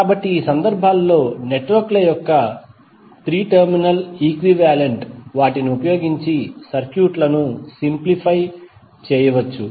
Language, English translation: Telugu, So in these cases, the simplification of circuits can be done using 3 terminal equivalent of the networks